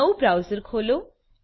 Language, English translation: Gujarati, Open a new browser